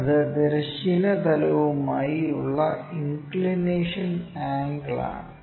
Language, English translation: Malayalam, So, this is the angle which is making with that horizontal plane